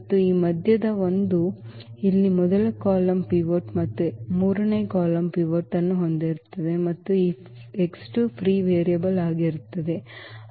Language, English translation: Kannada, And this middle one so, here the first column will have a pivot and the third column has a pivot and this x 2 is going to be the free variable